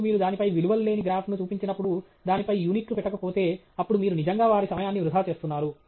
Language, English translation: Telugu, And when you show a graph with no values on it, no units on it, then you really are wasting their time